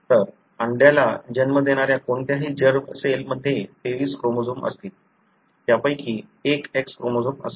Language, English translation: Marathi, So, any germ cell which gives rise to an egg would have 23 chromosomes, of which one would be the X chromosome